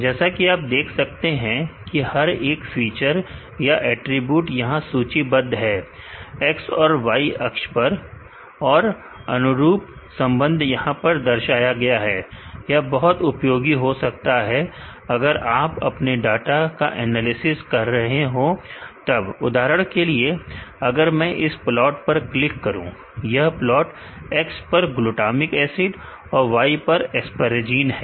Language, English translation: Hindi, As you could see that each feature, or the attribute is listed here in X and Y axis and, the corresponding relationships are showed here this is very useful in case you are analyzing your data for example, if I click on this plot this a plot between X that is the glutamic acid and Y that is the aspergine